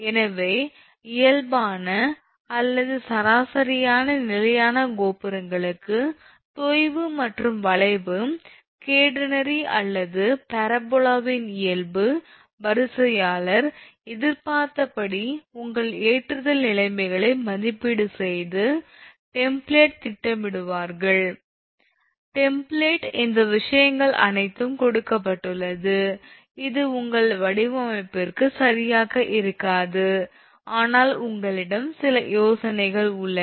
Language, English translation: Tamil, So, for standard towers for normal or average spans the sag and the nature of the curve catenary or parabola, that the line conductor will occupy under expected your loading conditions in evaluated and plotted on template, but the let me tell you one thing for sag template all these things are given it may not be your exactly to your design, but you have some kind of ideas